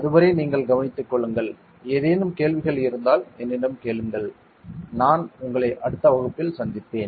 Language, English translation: Tamil, Till then you take care to have any question please ask me I will see you in the next class bye